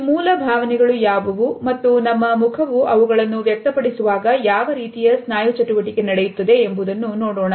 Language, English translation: Kannada, Let’s look at what are these basic emotions and what type of muscular activity takes place when our face expresses them